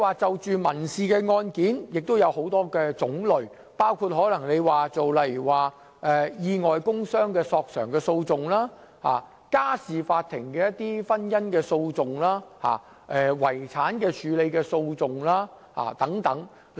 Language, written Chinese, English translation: Cantonese, 在民事案件方面也有很多種類，包括意外工傷索償的訴訟、家事法庭的婚姻訴訟及遺產處理訴訟等。, There are different categories of civil proceedings including compensation claims for injuries sustained from accidents at work matrimonial causes at the Family Court and litigation on estate administration and so on